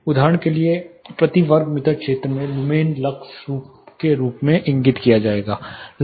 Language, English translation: Hindi, So, lumens per square meter area for example, would be indicated as lux level